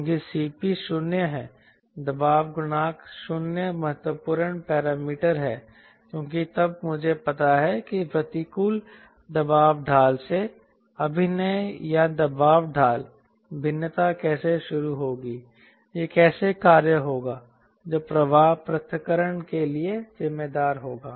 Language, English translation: Hindi, ah pressure coefficient zero is the important parameter because then i know where from the adverse pressure gradient will start acting or pressure gradient variation, how it will act, which will be responsible for ah flow separation